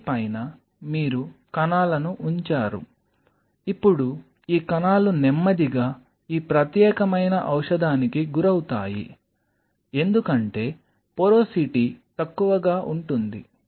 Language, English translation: Telugu, So, on top of this you put the cells, now these cells will be exposed to this particular drug in a slow fashion, because the porosity is less